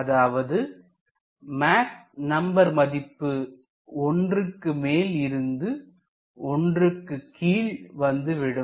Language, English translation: Tamil, So, a Mach number greater than 1 to a Mach number less than 1